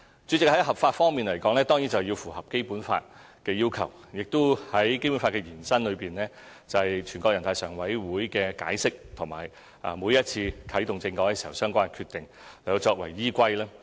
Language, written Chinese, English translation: Cantonese, 主席，就合法方面，當然要符合《基本法》的要求，以及在《基本法》延伸方面，全國人大常委會的解釋和每一次啟動政改時的相關決定作為依歸。, President to be lawful means compliance with the requirements of the Basic Law and the interpretation of it by the Standing Committee of the National Peoples Congress NPCSC as well as the relevant decisions made by NPCSC at the time of the commencement of the constitutional reform